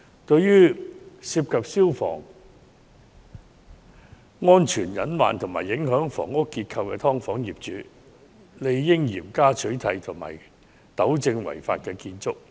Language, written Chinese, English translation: Cantonese, 對於涉及消防安全隱患及影響房屋結構的"劏房"，政府理應嚴加取締，並飭令相關業主糾正違法建築。, For those subdivided units involving fire safety hazards with structure being affected the Government ought to stamp them out rigorously and order the landlords to rectify such illegal structures